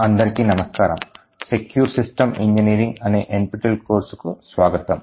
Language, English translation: Telugu, Hello and welcome to this demonstration in the NPTEL course for Secure System Engineering